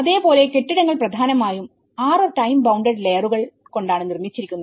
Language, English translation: Malayalam, And similarly, buildings are also essentially made of 6 time bound layers